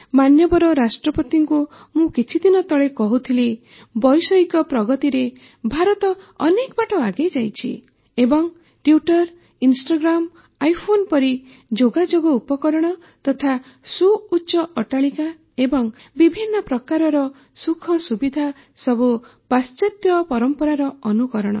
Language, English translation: Odia, I was mentioning I think to Hon'ble President a few days ago that India has come up so much in technical advancement and following the west very well with Twitter and Instagram and iPhones and Big buildings and so much facility but I know that, that's not the real glory of India